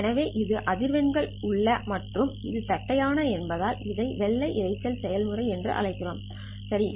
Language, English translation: Tamil, So this is in the frequency domain and because it is flat we call this as white noise process